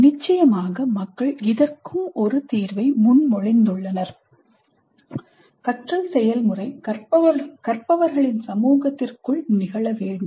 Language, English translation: Tamil, Because people have proposed a solution to this also that learning process should occur within a community of learners